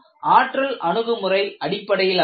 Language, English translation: Tamil, And this is developed based on energy approach